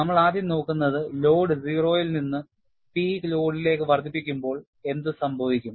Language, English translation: Malayalam, We first look at, what happens when the load is increased from 0 to the peak load